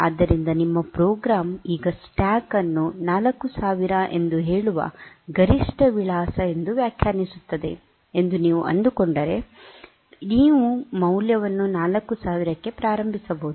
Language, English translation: Kannada, So, you can if you find that your program in your system you can define the stack to be the maximum address you say 4000, then you can initialize the value to 4000